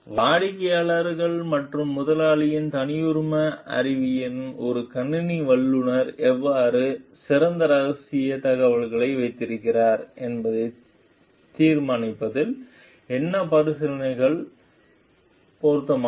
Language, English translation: Tamil, And how what considerations are relevant in deciding how a computer professional keep best confidential information in the proprietary knowledge of the client and employer